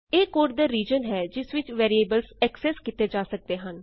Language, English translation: Punjabi, It is the region of code within which the variable can be accessed